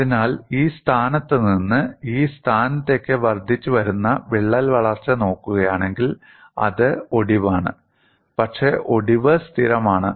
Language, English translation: Malayalam, So, from this position to this position, if you look at the incremental crack growth, it is fracture, but the fracture is stable